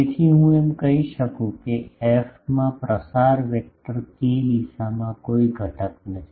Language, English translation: Gujarati, So, I can say that f does not have any component in the direction of propagation vector k